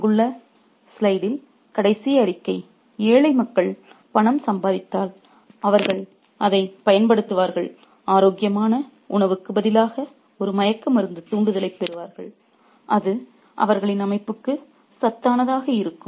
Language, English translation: Tamil, The last statement on the slide there that if, you know, the poor people, if they got arms and they were money in arms, they would use it to get a sedative, a stimulant rather than healthy food that would be nutritious for their system